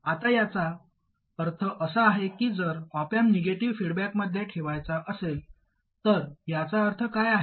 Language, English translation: Marathi, Now what it means is if the op amp is arranged to be in negative feedback, what does that mean